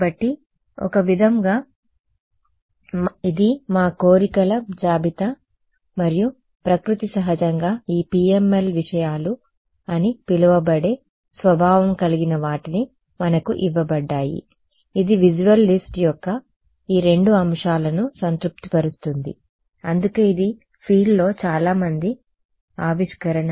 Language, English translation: Telugu, So, in some sense, this is our wish list and nature is kind enough for us that this so called PML things it satisfies both these items of the visualist which is why it was a very good discovery in the field